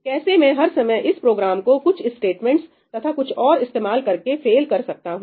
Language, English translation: Hindi, How can I make this program fail every time by introducing something some statements or some